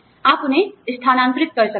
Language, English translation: Hindi, You could, relocate them